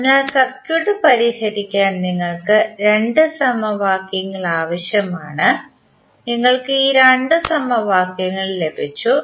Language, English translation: Malayalam, So, you need two equations to solve the circuit and you got these two equations